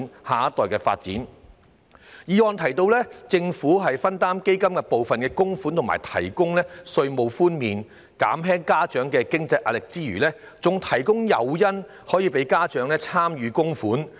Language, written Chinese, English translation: Cantonese, 議案不但提到應由政府分擔基金部分供款及提供稅務寬免，以減輕家長的經濟壓力，亦建議提供誘因鼓勵家長參與供款。, The motion does not only suggest the Government to share the contributions to the Fund and provide tax deduction to ease the financial burden of parents it also suggests the Government to offer incentives to encourage parents to make contributions